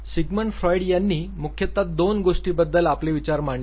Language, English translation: Marathi, Sigmund feud basically talked about two important things